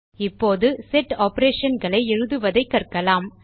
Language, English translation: Tamil, Let us now learn how to write Set operations